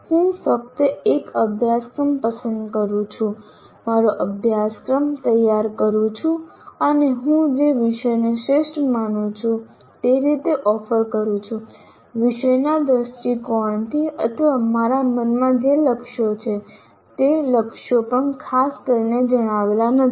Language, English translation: Gujarati, I just pick a course, design my syllabus and offer it the way I consider the best, either from the subject perspective or whatever goals that I have in mind, even the goals are not particularly stated